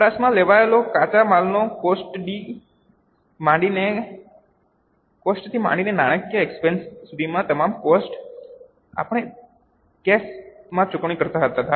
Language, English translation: Gujarati, All the expenses starting from cost of raw material consumed to finance costs, we were paying in cash